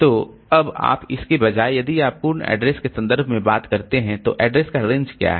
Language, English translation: Hindi, So, now instead of that if you do in terms of absolute addresses, then what is the address range